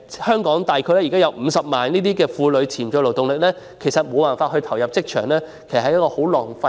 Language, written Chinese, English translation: Cantonese, 香港現時約有50萬名婦女的潛在勞動力，無法投入職場，這些資源都浪費了。, There is currently a potential labour force of about 500 000 women in Hong Kong but they cannot join the workplace and these resources have been wasted